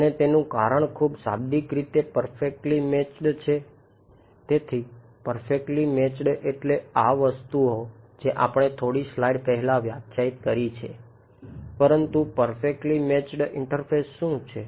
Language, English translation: Gujarati, So, perfectly matched meant these things that is what we have defined in a few slides ago, but perfectly matched interface